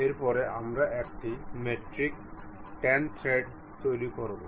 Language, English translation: Bengali, After that we will go construct a metric 10 thread